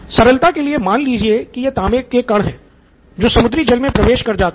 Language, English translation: Hindi, For simplicity sake let’s assume that these are copper particles which are let off into the seawater